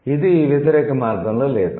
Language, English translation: Telugu, So, it is not the other way around